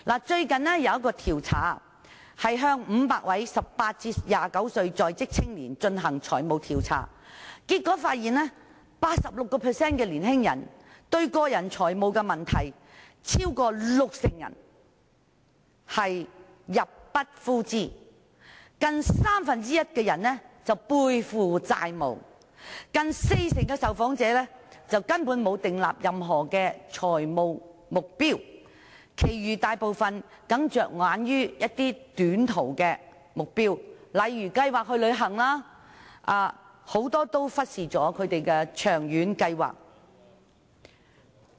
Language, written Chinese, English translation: Cantonese, 最近有一項研究向500位18歲至29歲在職青年進行財務調查，結果發現 86% 的年青人面對個人財務問題，超過六成人入不敷支，近三分之一的人背負債務，近四成的受訪者根本沒有訂立任何財務目標，其餘大部分人僅着眼於短期目標，例如計劃旅行，很多人均忽視長遠計劃。, According to the findings of a financial survey conducted in a recent study on 500 working youths aged 18 to 29 86 % of the respondents faced personal financial problems more than 60 % were unable to make ends meet nearly one third were debt - ridden nearly 40 % simply did not have any financial targets and the remaining respondents merely focused on short - term goals such as making travel plans whereas many did not take long - term plans seriously